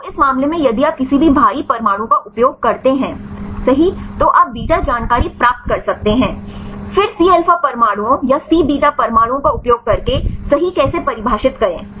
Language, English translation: Hindi, So, in this case if uses the any heavy atoms right you can get the beta information, then using either C alpha atoms or C beta atoms right then how to define